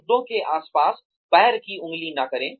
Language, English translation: Hindi, Do not tip toe around issues